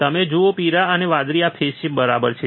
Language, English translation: Gujarati, You see yellow and blue these are out of phase